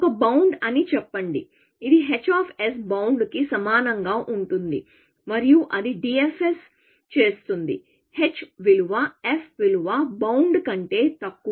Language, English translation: Telugu, Let us say a bound, its starts with saying, bound equal to h of s, and it does DFS, as long as h value is, f value is less than the bound